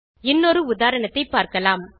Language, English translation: Tamil, Let us try with an example